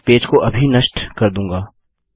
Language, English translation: Hindi, Ill just kill the page